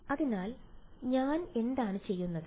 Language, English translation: Malayalam, So, what I am doing